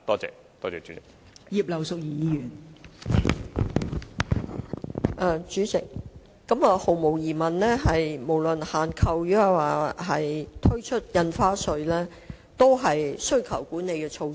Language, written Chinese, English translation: Cantonese, 代理主席，毫無疑問，不論是限購，還是開徵新增印花稅，均屬需求管理措施。, Deputy President there is no doubt that purchase restrictions and new stamp duties are both demand - side management measures